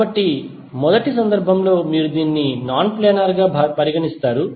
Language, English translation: Telugu, So, at the first instance you will consider it as a non planar